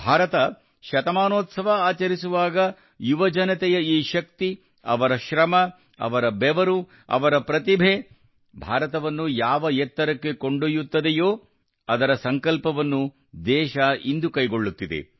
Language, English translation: Kannada, When India celebrates her centenary, this power of youth, their hard work, their sweat, their talent, will take India to the heights that the country is resolving today